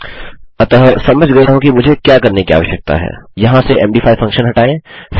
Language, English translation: Hindi, So, I realise what we need to do is, take out the md5 function here